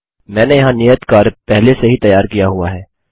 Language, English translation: Hindi, I have already constructed the assignment here